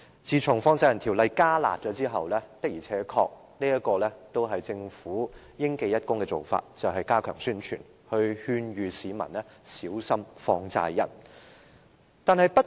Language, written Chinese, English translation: Cantonese, 自從《放債人條例》"加辣"後，政府的做法確實應記一功，便是加強宣傳，勸諭市民小心放債人。, Credit should go to the practices adopted by the Government since the introduction of harsher measures under the Money Lender Ordinance for it has stepped up the publicity to advise the public to be wary of money lenders